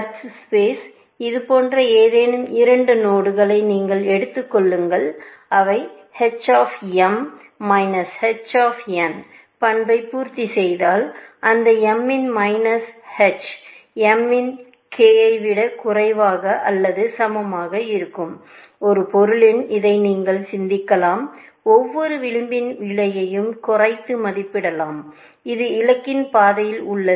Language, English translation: Tamil, If you take any such two nodes in the search place, and if they satisfy this property, that h of m minus h of n, is less than equal to k of m n, in a sense, you can think of this, saying that it under estimates the cost of every edge, which is on the path to the goal, essentially